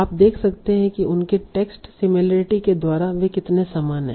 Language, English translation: Hindi, You see we can always do it by seeing how similar they are by measuring their text similarity